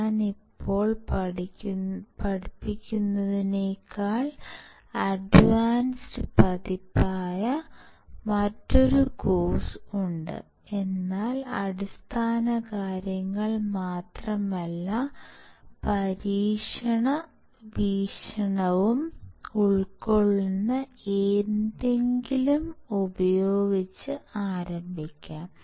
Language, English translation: Malayalam, There is another course which is advance version than what I am teaching right now, but what I thought is let us start with something which covers not only basics, but also covers the experiment point of view